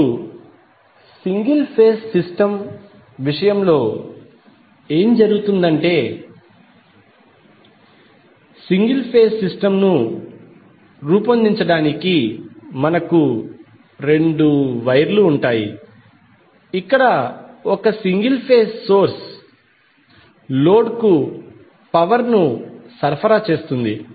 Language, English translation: Telugu, Now, in case of single phase system what will happen we will have two wires to create the single phase system where one single phase source will be supplying power to the load